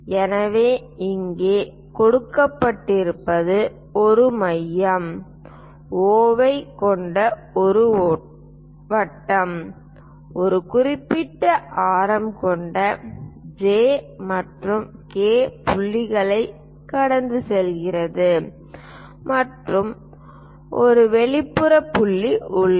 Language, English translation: Tamil, So, here what is given is there is a circle having a centre O, passing through points J and K with specified radius and there is an external point P